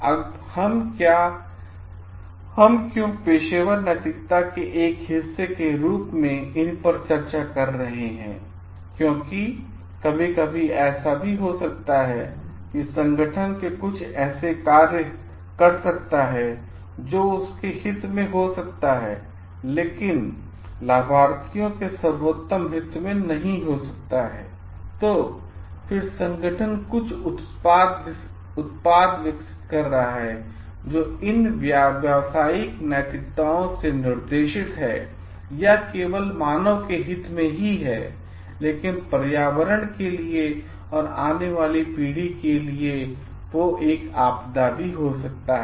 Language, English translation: Hindi, Now, why we are discussing these as a part of professional ethics because it may so happen sometimes the organization may be doing some practices which are in their best interest, may not be in the best interest of the beneficiaries, then guided by these professional ethics like or it is only in the best interest of the human being organization is developing some product, but it is going to be disaster to the environment or to the future generation to come